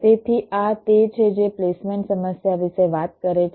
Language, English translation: Gujarati, so this is what the placement problem talks about now